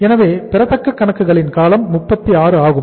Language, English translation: Tamil, So we are taking the duration of the accounts receivable is 36